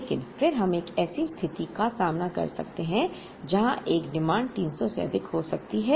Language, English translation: Hindi, But, then we may encounter a situation where, this demand can also exceed 300